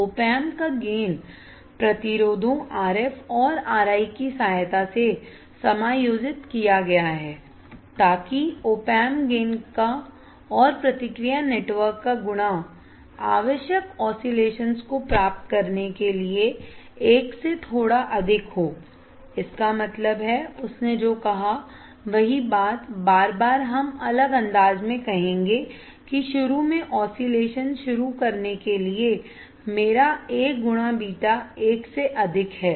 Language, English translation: Hindi, The gain of the op amp adjusted with the help of resistors RF and R I such that the product of gain of op amp and the feedback network is slightly greater than one to get the required oscillations; that means, what he said that the same thing again and again we will say in a different fashion that to start the oscillation initially my A into beta is crap greater than one